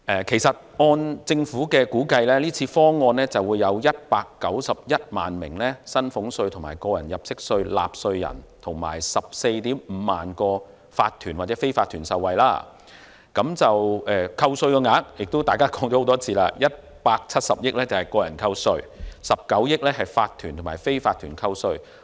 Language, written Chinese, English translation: Cantonese, 其實，按政府估計，這次方案將會有191萬名薪俸稅及個人入息課稅納稅人，以及 145,000 個法團或非法團受惠，扣稅額——大家亦說過很多次 ——170 億元屬個人扣稅 ，19 億元屬法團及非法團扣稅。, In fact the Government estimated that this proposal would benefit 1.91 million taxpayers of salaries tax and tax under personal assessment as well as 145 000 tax - paying corporations and unincorporated businesses . As Members have mentioned many times 17 billion of the reduction would be related to salaries tax and tax under personal assessment and 1.9 billion would be related to profits tax in respect of corporations and unincorporated businesses